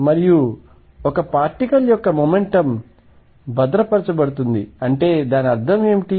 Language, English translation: Telugu, And therefore, momentum of a particle is conserved; that means, what is it mean